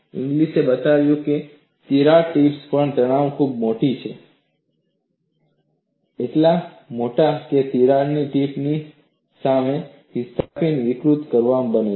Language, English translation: Gujarati, Inglis showed that the stresses at the crack tips are quite large; so large that they cause anelastic deformation in front of the crack tip